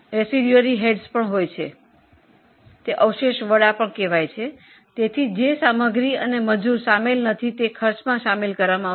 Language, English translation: Gujarati, So, what is not included in material and labour will be included in the expense